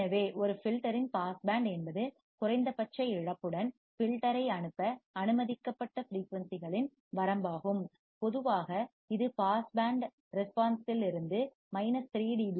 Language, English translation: Tamil, So, pass band of a filter is the range of frequencies that are allowed to pass the filter with minimum attenuation loss and usually it is defined there less than minus 3 dB from the pass band response